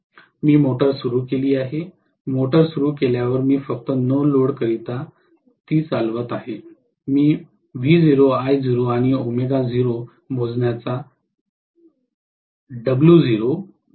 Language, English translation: Marathi, I have started the motor, after starting the motor I am just running it on no load, I am trying to measure V naught, I naught and W naught